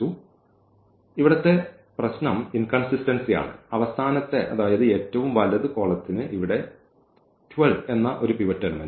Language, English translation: Malayalam, Now, the problem here is the inconsistency the last column the right most column here has a pivot element here this 12 which should not happen